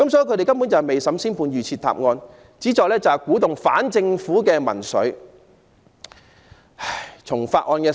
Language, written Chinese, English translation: Cantonese, 他們根本未審先判，預設答案，旨在鼓動反政府的民粹。, They have reached the verdict and predetermined the answer even before the trial begins with a view to instigating anti - government populism